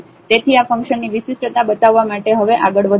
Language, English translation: Gujarati, So, moving next now to show the differentiability of this function